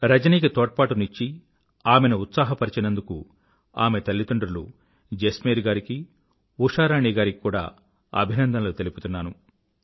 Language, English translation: Telugu, I also congratulate her parents Jasmer Singh ji and Usha Rani Ji for supporting & encouraging Rajani